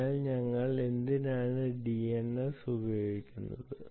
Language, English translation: Malayalam, so what people have done is: why should we use dns at all